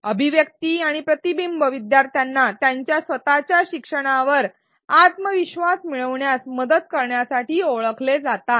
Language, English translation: Marathi, Articulation and reflection are known to help learners gain confidence in their own learning